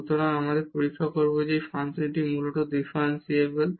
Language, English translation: Bengali, And, then we have proved that this function is differentiable